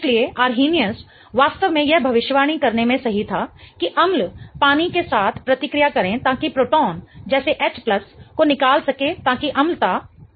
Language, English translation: Hindi, So, Arrhenius was really right in predicting that acids have to react with water in order to give off a proton like H plus in order to exhibit acidity